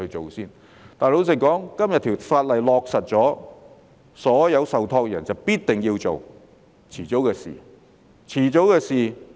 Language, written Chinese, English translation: Cantonese, 可是，老實說，今天這項法例落實後，所有受託人必定要依從，是遲早的事。, But frankly all trustees must work in compliance with this piece of legislation after its enactment today . It is only a matter of time